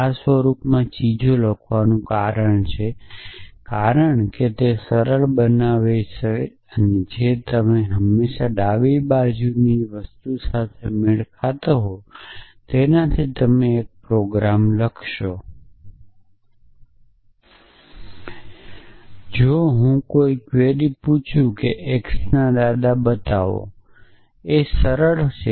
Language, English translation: Gujarati, The reason for writing things in this invited form is, because it makes a task of matching simpler you always match with what is on the left hand side in you have a programme and the right hand side is the step of making that inference